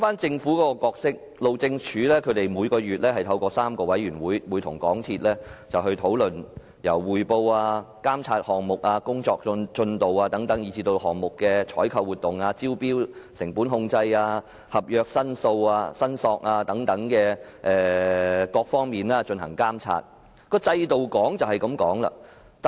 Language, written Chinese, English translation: Cantonese, 政府的角色方面，路政署每月透過3個委員會，監察港鐵公司的工作，檢討項目進度，並對項目的採購活動、招標後的成本控制、有關合約申索的處理進行監察。, As regards the role of the Government each month the Highways Department will through three committees monitor the work of MTRCL review the progress of the project and monitor the procurement activities post - tender cost control and resolution of contractual claims concerning the project